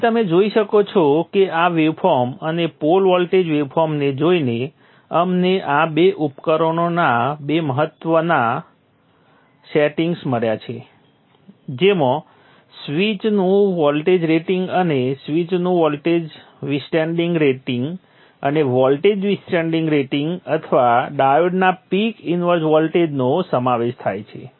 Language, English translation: Gujarati, So you see that just by looking at the waveform and the poor voltage waveform we have found two important ratings of these two devices the voltage withstanding rating of the switch and the voltage withstanding rating of the switch and the voltage withstanding rating of the peak inverse voltage of the time